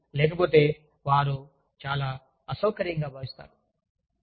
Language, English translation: Telugu, So, otherwise, they feel very uncomfortable